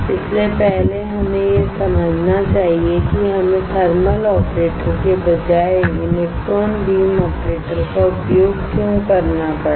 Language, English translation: Hindi, So, first we should understand why we had to use electron beam operator instead of a thermal operator